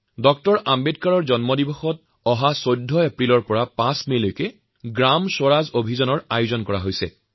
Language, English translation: Assamese, Ambedkar from April 14 to May 5 'GramSwaraj Abhiyan,' is being organized